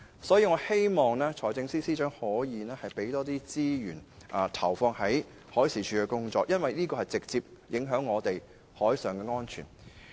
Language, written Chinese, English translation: Cantonese, 因此，我希望財政司司長可以為海事處提供更多資源，因為部門的工作質素和效率會直接影響本港的海上安全。, Therefore I hope the Financial Secretary can provide more resources to MD as the work quality and efficiency of the Department will directly affect maritime safety in Hong Kong